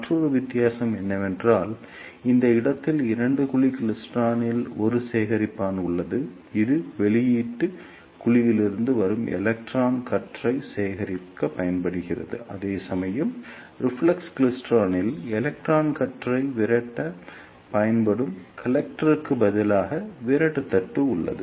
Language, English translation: Tamil, And the another difference is that in two cavity klystron at this place there is a collector which is used to collect the electron beam coming from the output cavity; whereas in reflex klystron there is repeller plate in place of the collector which is used to repel the electron beam